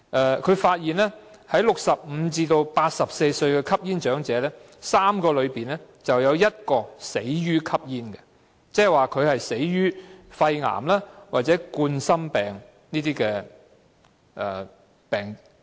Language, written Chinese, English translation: Cantonese, 研究發現在65歲至84歲的吸煙長者中，每3個便有1個死於吸煙，即死於肺癌或冠心病等疾病。, The study found that among older smokers aged 65 to 84 one out of every three would be killed by smoking - induced diseases that is lung cancer and coronary heart diseases